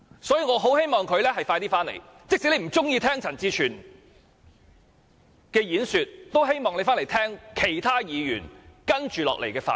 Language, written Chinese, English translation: Cantonese, 所以，我很希望他盡快回來，即使他不喜歡聽陳志全的演說，也希望他回來聆聽其他議員接着下來的發言。, Thus I hope that he will return as soon as possible . Even though he may not like listening to CHAN Chi - chuen I hope he will return and listen to the speeches of other Members to be delivered later